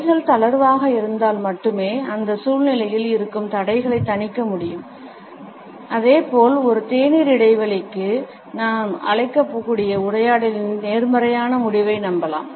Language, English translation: Tamil, Only if the hands are loose we can mitigate the barriers which exists in that situation as well as can be hopeful of a positive conclusion of the dialogue we can call for a tea break